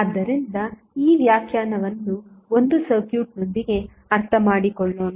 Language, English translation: Kannada, So, let us understand this definition with 1 circuit